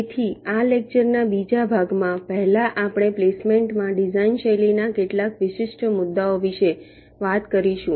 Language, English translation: Gujarati, so in this second part of the lecture, first we talked about some of the design style specific issues in placement